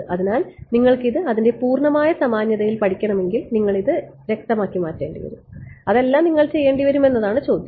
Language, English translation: Malayalam, So, you see the question is if you want to study this in its full generality then you will have to make this to be blood, you will have to do everything all that